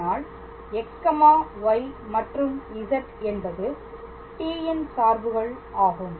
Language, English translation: Tamil, So, x i plus y j plus z k, but since x y z are all functions of t